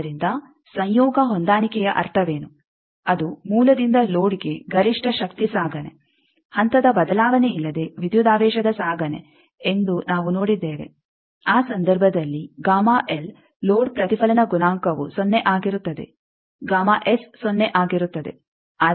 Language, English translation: Kannada, So, what is the implication of conjugate matching one we have seen that it is maximum power transportation from source to load, transportation of voltage without phase shift also under that case the gamma l, load deflection coefficient is 0 gamma S is 0